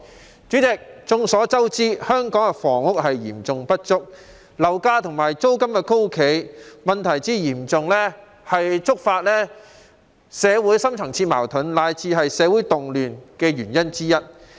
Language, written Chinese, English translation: Cantonese, 代理主席，眾所周知，香港的房屋供應嚴重不足，樓價和租金高企問題嚴重，觸發社會深層次矛盾，乃至社會動亂的原因之一。, Deputy President as Members all know the serious shortage of housing supply in Hong Kong coupled with the acute problem of exorbitant property prices and rents has triggered deep - seated social conflicts and even constituted a major reason for social upheaval